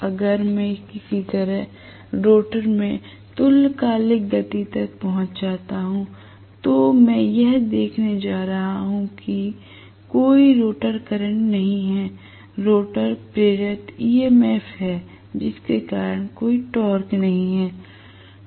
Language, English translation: Hindi, If, I am talking about rotor having reached synchronous speed by chance, by hook or crook, I am going to see that there is no rotor current, there is rotor EMF induced because of which there is no torque